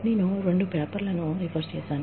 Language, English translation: Telugu, I have referred to, two papers